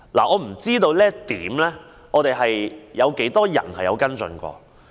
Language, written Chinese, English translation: Cantonese, 我不知這點有多少人曾經跟進。, I wonder how many people have followed up this point